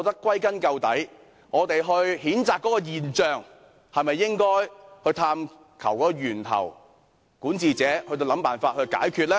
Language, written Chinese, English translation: Cantonese, 歸根究底，在譴責這些現象時，管治者是否應探求源頭，然後設法解決呢？, After all apart from criticizing these phenomena should the governor not identify the causes and solutions for these problems?